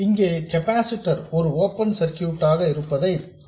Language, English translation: Tamil, You see that a capacitor is an open circuit for DC